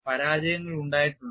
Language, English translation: Malayalam, And failures have been there